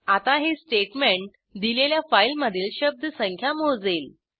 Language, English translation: Marathi, * So, this statement counts the words in a given file